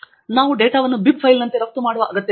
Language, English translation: Kannada, And why do we need to export the data as a bib file